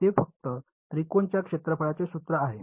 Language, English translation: Marathi, That is just formula of area of triangle